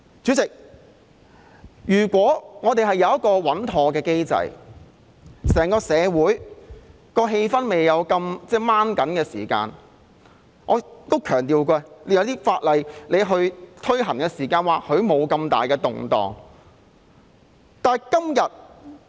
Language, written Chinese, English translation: Cantonese, 主席，如果我們有一個穩妥的機制，整個社會的氣氛不是那麼繃緊，在推行某些法例時或許便不會引起那麼大的動盪。, How will the Bill be enforced in the future? . Chairman if we have a robust system in place and the social atmosphere is not as tense the introduction of legislation will probably not cause such upheavals